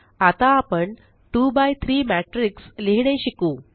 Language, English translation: Marathi, Now well learn how to write the 2 by 3 matrix